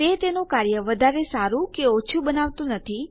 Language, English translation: Gujarati, It doesnt make it work any better or any less